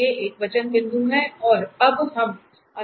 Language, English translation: Hindi, These are the singular points and we can easily see now